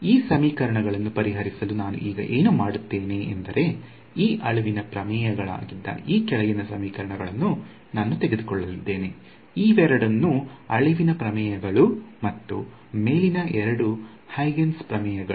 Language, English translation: Kannada, So, what I will do is now to solve these sets of equations, I am going to take these bottom equations these were the extinction theorems; both of these were extenction theorems and both the top ones were the Huygens theorems